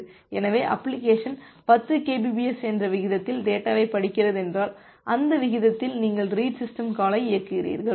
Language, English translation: Tamil, So, the application is reading the data at a rate of 10 Kbps means at that rate, you are executing the read system call